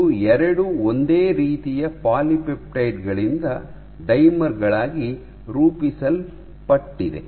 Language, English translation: Kannada, It forms dimers of 2 same similar polypeptides